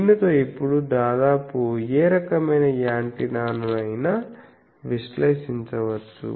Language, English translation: Telugu, But now almost any type of antenna can be analyzed with this